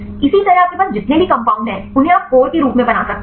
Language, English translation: Hindi, Likewise for any compounds you have you can make as a core